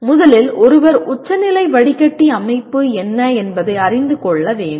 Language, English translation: Tamil, First of all one should know what is the notch filter structure